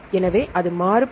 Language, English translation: Tamil, So, it varies